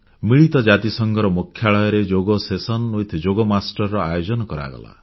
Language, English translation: Odia, A 'Yoga Session with Yoga Masters' was organised at the UN headquarters